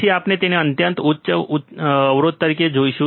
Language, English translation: Gujarati, Then we will see it as a extremely high input impedance